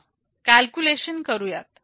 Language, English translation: Marathi, Let us make a calculation